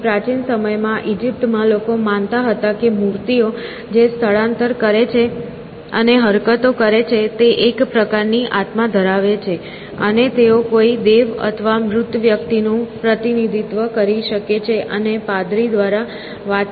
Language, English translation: Gujarati, So, in olden times, in Egypt, people believed that statues which moved and gestured had a sort of a soul, and they could represent a god or a dead person and communicate through a priest essentially